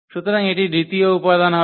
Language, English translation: Bengali, So, that will be the second element